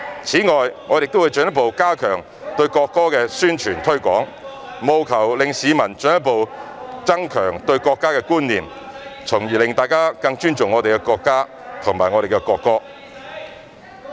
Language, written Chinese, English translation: Cantonese, 此外，我們亦會進一步加強對國歌的宣傳和推廣，務求令市民進一步增強對國家的觀念，從而令大家更尊重我們的國家和國歌。, In addition we will further step up our publicity and promotional efforts on the national anthem to further enhance the sense of national identity among members of the public so that they will show more respect for our country and the national anthem